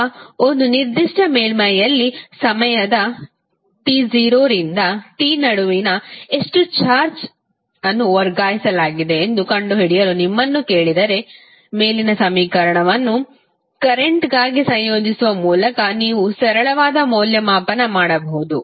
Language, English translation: Kannada, Now, if you are asked to find how much charge is transferred between time t 0 to t in a particular surface, you can simply evaluate by integrating the above equation